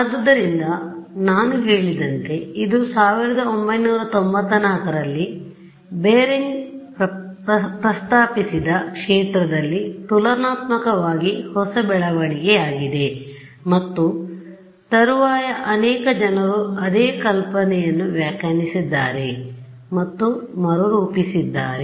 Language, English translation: Kannada, So, as I mentioned this is a relatively new development in the field proposed by Berenger in 1994 and subsequently many people have reinterpreted and reformulated the same idea ok